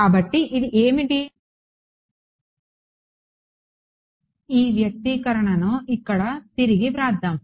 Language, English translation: Telugu, So, what is this let us rewrite this expression over here